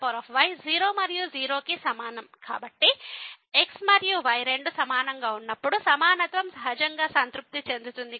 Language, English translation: Telugu, So, then in equality is naturally satisfied when and both are same